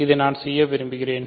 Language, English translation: Tamil, So, this I want to do